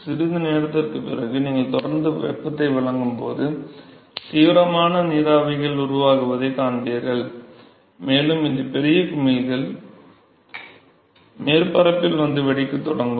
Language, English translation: Tamil, And then after a while when you continue to supply heat further more you will see that there will be vigorous vapors which are formed and you will see these big bubbles which will come to the surface and start bursting